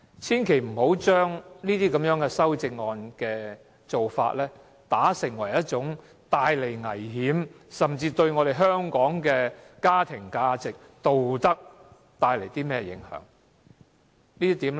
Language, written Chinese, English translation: Cantonese, 千萬不要把這些修正案的做法看成是帶來危險，甚至為香港的家庭價值和道德帶來影響。, Please do not view these amendments as causing dangers to and even affecting the family or moral values in Hong Kong